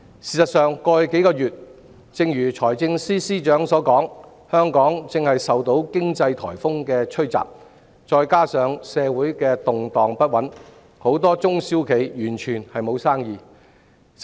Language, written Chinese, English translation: Cantonese, 事實上，正如財政司司長所說，過去數月香港正受經濟颱風吹襲，加上社會動盪不穩，很多中小企完全沒有生意。, As a matter of fact the economic typhoon―as the Financial Secretary put it―barrelling down Hong Kong in the past few months coupled with the social upheavals have left many a small and medium enterprise completely without business